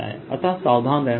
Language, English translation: Hindi, so one has to be careful